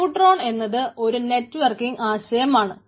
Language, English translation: Malayalam, neutron configures the networking aspects